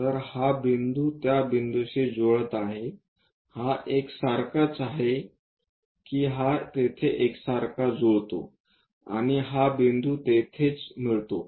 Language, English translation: Marathi, So, this point coincides with that point, this one coincides that this one coincides there, and this one coincides there